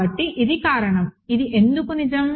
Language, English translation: Telugu, So, this the reason is, why is this true